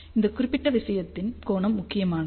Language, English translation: Tamil, The angle of this particular thing is important